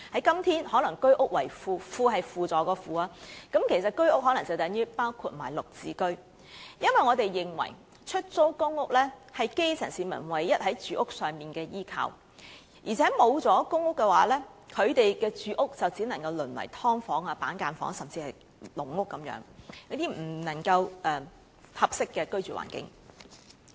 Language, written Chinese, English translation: Cantonese, 今天可能是居屋為輔，"輔"是輔助的"輔"，其實居屋可能包括"綠置居"，因為我們認為，出租公屋是基層市民在住屋上的唯一依靠，而且若沒有公屋，他們的住屋就只能淪為"劏房"、板間房，甚至"籠屋"等，這些均不是合適的居住環境。, Now HOS may play a complementary role rendering assistance in the matter . In fact HOS may include GSH since we regard PRH as the only type of housing on which the grass roots can rely . Moreover without public housing their dwelling places will only turn out to be subdivided units cubicle apartments or even caged homes the environment of which is not habitable